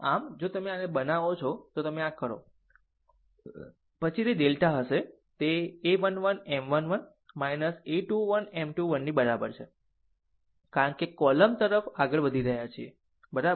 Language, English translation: Gujarati, So, if you make it, if you ah you are what you call if you make this one, then then it will be delta is equal to a 1 1 M 1 1 minus a 2 1 M 2 1 because we are moving towards the column, right